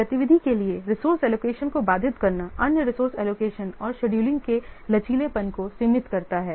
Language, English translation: Hindi, Allocating a resource to one activity limits the flexibility for resource allocation and scheduling of other activities